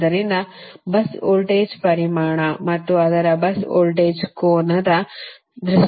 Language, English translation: Kannada, so in terms of bus voltage, magnitude and its bus voltage angle, also right